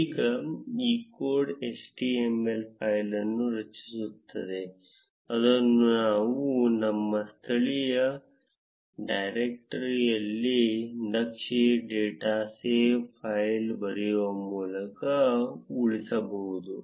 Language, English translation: Kannada, Now this code will generate an html file, which we can save in our local directory by writing chart dot save file